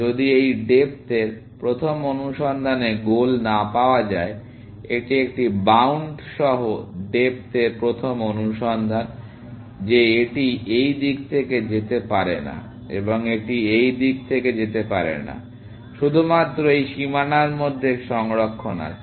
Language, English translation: Bengali, If it does not find goal in this depth first search, now, this is depth first search with a bound; that it cannot go of in this direction, and it cannot go from this direction; only has save within this boundary